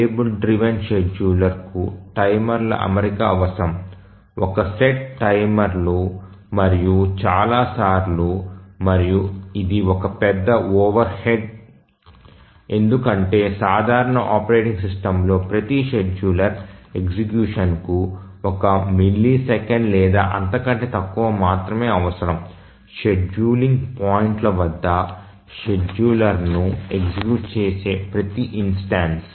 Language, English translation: Telugu, The table driven scheduler is that requires setting up timers, one shot timers, and number of times and this is a major overhead because we are talking of simple operating system requiring only one millisecond or less for each scheduler execution, each instance of execution of scheduler at the scheduling points